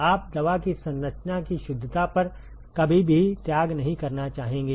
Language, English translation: Hindi, You would never want to sacrifice on the precision of the composition of the drug